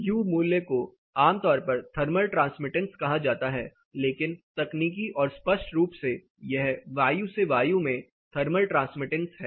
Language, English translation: Hindi, U value typically is referred as thermal transmittance, but more technically more precisely it is air to air thermal transmittance